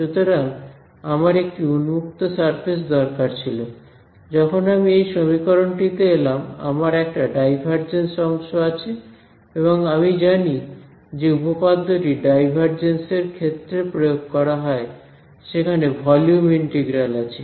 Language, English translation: Bengali, So, I needed a open surface, when I look come to this equation I have a divergence term and I know that the theorem that applies to divergence has a volume integral